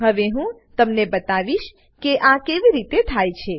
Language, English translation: Gujarati, Now I will show you how this is done